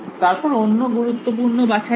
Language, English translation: Bengali, Then what is the other important choice